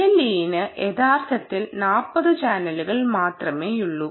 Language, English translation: Malayalam, l e actually has only forty channels